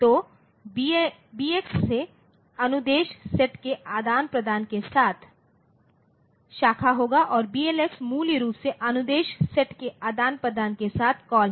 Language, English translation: Hindi, So, BX will be branch with exchange of instruction set and BLX is basically the call with exchange of instruction set